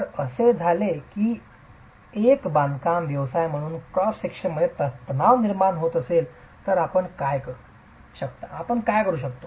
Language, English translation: Marathi, If it so happens that there is going to be tension in the cross section, as a builder what could you do